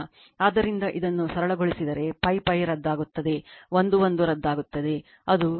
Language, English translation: Kannada, So, if you if you simplify this, so pi pi will be cancel, l l will be cancel, it will be 2 by 3 into r square by your r dash square